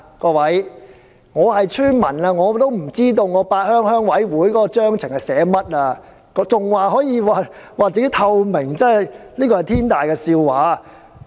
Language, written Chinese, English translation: Cantonese, 各位，雖然我是村民，但我也不知道八鄉鄉事會的組織章程寫的是甚麼，竟然還說鄉事會具有透明度，這真是天大的笑話。, Honourable Members although I am a villager I do not know the contents of the Constitution of the Pat Heung Rural Committee . And yet they still insisted that RCs are transparent . What a great joke!